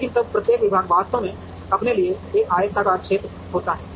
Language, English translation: Hindi, But, then each department actually has a rectangular area for itself